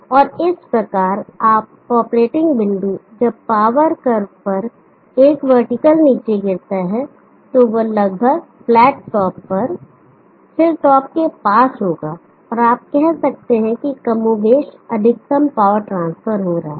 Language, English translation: Hindi, And thereby the operating point when the vertical is drop down on to the power curve will be more or less on the flat top, near the top of the hill and you can say near closed to maximum power transfer is happening